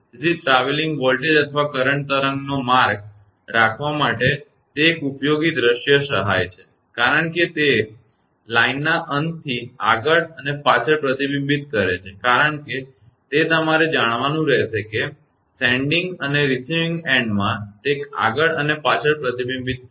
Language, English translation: Gujarati, So, it is a useful visual aid to keep track of traveling voltage or current wave as it reflects back and forth from the end of the line because it will be you know sending and receiving end in it will be reflected back and forth